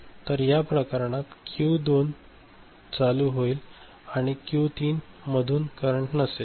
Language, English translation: Marathi, So, the Q2 will become ON and in this case this Q3 no current is flowing